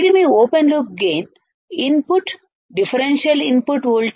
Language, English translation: Telugu, This is your open loop gain input the differential input voltage v i 1 minus v i 2